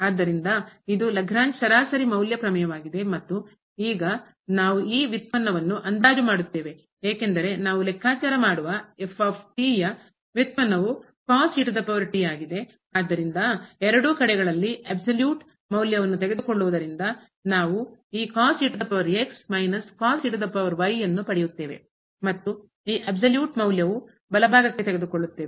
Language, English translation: Kannada, So, this is the Lagrange mean value theorem and now we will estimate this derivative because the derivative we can compute the ) is power So, taking the absolute value both the sides we get this power minus power and this absolute value will take to the right hand side